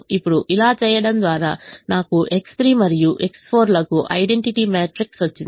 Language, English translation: Telugu, now by doing this i have got an identity matrix for x three and x four